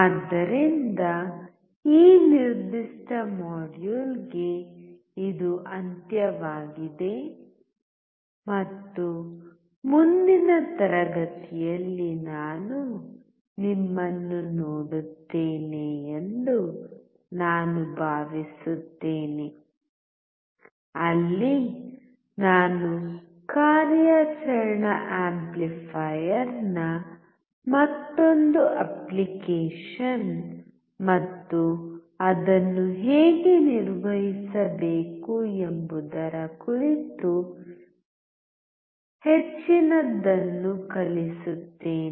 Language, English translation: Kannada, So, this is a the end for this particular module and I hope that I see you in the next class where I will be teaching more on the another application of the operational amplifier and how to operate it